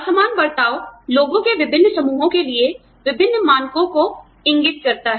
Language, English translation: Hindi, Disparate treatment indicates, different standards for, different groups of people